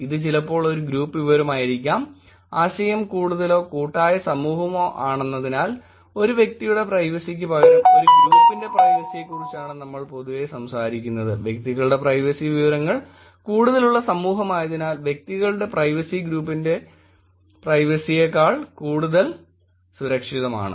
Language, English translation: Malayalam, It sometimes could be actually a group information also, given that idea is more or collective society we generally talk about a privacy of a group, instead of individual privacy, that the society is where its individualistic society where the privacy information of the individuals are more protected than the privacy information of the group